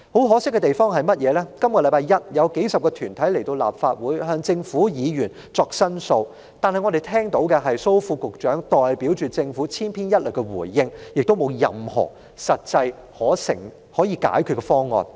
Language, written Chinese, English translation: Cantonese, 可惜的是，在本周一，當數十個團體前來立法會向政府及議員申訴時，我們只聽到蘇副局長代表政府千篇一律的回應，沒有任何實際的解決方案。, Regrettably this Monday when several dozens of organizations came to the Legislative Council to seek redress with the Government and Members we merely heard Under Secretary Dr Raymond SO provide some cookie - cutter replies without any concrete proposals for solving the problems